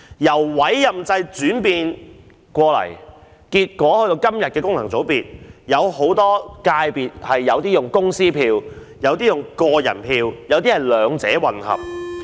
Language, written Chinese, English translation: Cantonese, 由委任制轉到今天的功能界別，有些界別用公司票，有些用個人票，亦有些是兩者混合。, After the development from the appointment system to FCs some constituencies have corporate votes some individual votes while some others have both corporate and individual votes